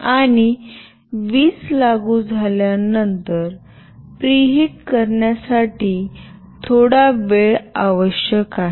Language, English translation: Marathi, And it requires some time to preheat after the power is applied